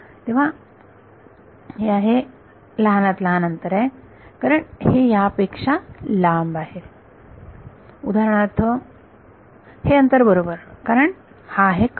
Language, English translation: Marathi, Then this is the shortest, because this is longer than for example, this distance right because it is on the diagonal